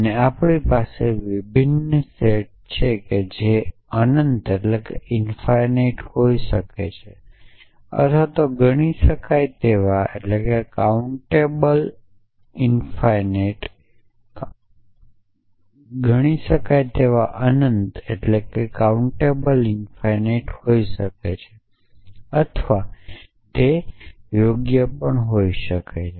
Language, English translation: Gujarati, And we have a varying set which may be in principle and infinite or at least countable infinite or it could be fine at as well essentially